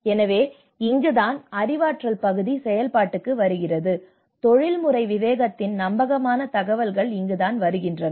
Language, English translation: Tamil, So this is where the cognition part of it, this is where the credible sources credible information on the professional discretion